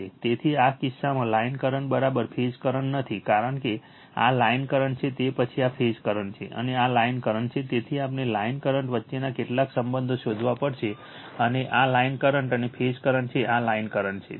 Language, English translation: Gujarati, So, in this case line current is not is equal to phase current because, this is the line current after that this is the phase current and this is the line current so, we have to find out some relationships between the line current and this is the line current and phase current this is the line current right